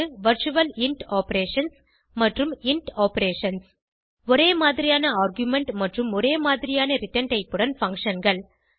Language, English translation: Tamil, virtual int operations () and int operations () functions with the same argument and same return type and difference between both